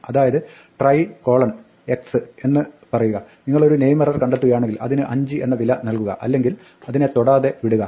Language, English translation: Malayalam, So, you can say try x and if you happened to find a name error set it to 5 otherwise leave it untouched